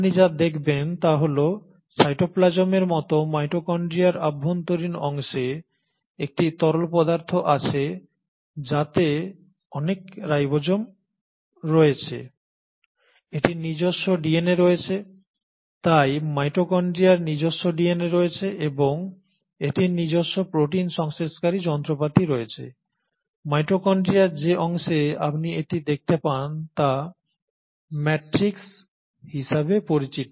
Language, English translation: Bengali, What you also find is that the inner part of the mitochondria like cytoplasm in mitochondria has a fluidic arrangement which has a lot of ribosomes, it has its own DNA so mitochondria consists of its own DNA and it has its own protein synthesising machinery, you find it present or suspended in section of mitochondria which is called as the matrix